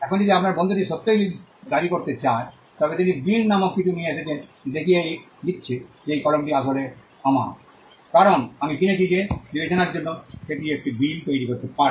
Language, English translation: Bengali, Now if your friend wants to really make a claim, he would come up with something called a bill, showing that this pen is actually mine, because I purchased is for consideration, he could produce a bill